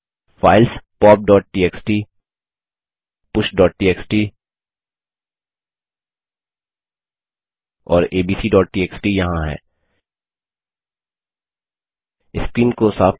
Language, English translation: Hindi, Here are the files pop.txt,push.txt and abc.txt Let us clear the screen